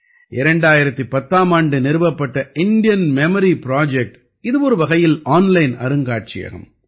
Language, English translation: Tamil, Established in the year 2010, Indian Memory Project is a kind of online museum